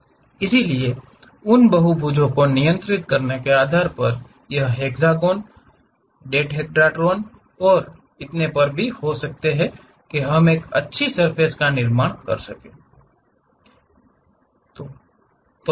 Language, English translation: Hindi, So, based on controlling those polygons, it can be hexagon, dodecahedrons and so on things, we will be in a position to construct a nice surface